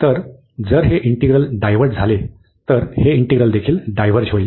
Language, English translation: Marathi, So, if this interval diverges, then this integral will also a diverge